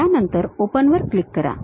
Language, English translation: Marathi, Then click Open